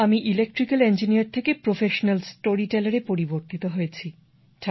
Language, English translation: Bengali, I am an Electrical Engineer turned professional storyteller